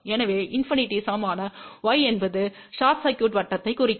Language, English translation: Tamil, So, y equal to infinity will represent short circuit